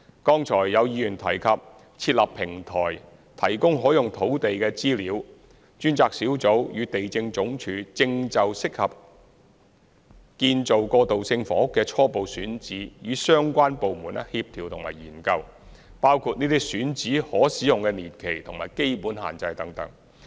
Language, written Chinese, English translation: Cantonese, 剛才有議員提及設立平台，提供可用土地的資料，專責小組與地政總署正就適合建造過渡性房屋的初步選址與相關部門協調和研究，包括這些選址的可使用年期和基本限制等。, Earlier on a Member mentioned the setting up of a platform to provide information of the sites available for use . The task force and LandsD are currently coordinating and studying with the relevant departments about the suitability of the shortlisted sites for the construction of transitional housing including the period available for use and the basic constraints of these sites